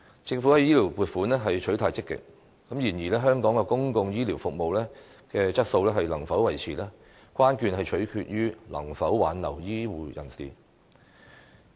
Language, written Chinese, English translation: Cantonese, 政府在醫療撥款方面取態積極，但香港的公共醫療服務質素能否維持，關鍵取決於能否挽留醫護人才。, The Government adopts a proactive attitude toward health care funding but whether the quality of public health care services in Hong Kong can be maintained mainly hinges on the retention of health care talents